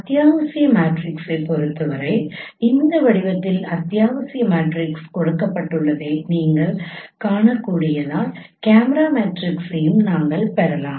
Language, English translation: Tamil, For essential matrix we can also derive the camera matrices as you can see that essential matrix is given in this form